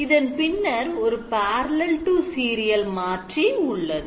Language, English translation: Tamil, After which there is a parallel to serial conversion